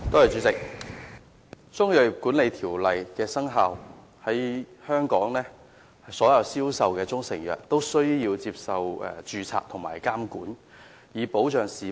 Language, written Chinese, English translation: Cantonese, 自《中醫藥條例》生效後，在香港銷售的所有中成藥均須註冊並受到監管，以保障市民。, After the Chinese Medicine Ordinance CMO came into effect all proprietary Chinese medicines sold in Hong Kong must be registered and subject to regulation for the protection of the public